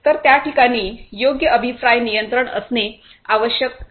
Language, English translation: Marathi, So, so proper feedback control in place has to be there